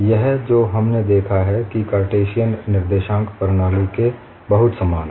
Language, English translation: Hindi, It is very similar, to what we have looked at in Cartesian coordinate system